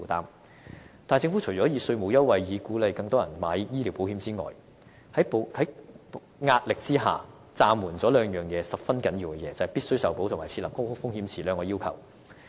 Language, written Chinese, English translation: Cantonese, 可是，政府除了以稅務優惠鼓勵更多人購買醫療保險外，在壓力之下，政府便暫緩了兩件十分重要的事情，即"必須受保"及"設立高風險池"這兩項要求。, Despite offering tax concessions as an incentive for taking out health insurance the Government has suspended the implementation of the two essential requirements of guaranteed acceptance and establishment of the high risk pool under pressure